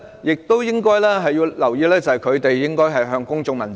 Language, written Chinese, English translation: Cantonese, 而且，應留意的是，公務員應向公眾問責。, Besides we should note that civil servants should be accountable to the people